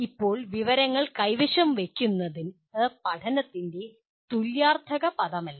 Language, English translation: Malayalam, Now, possession of information is not synonymous with learning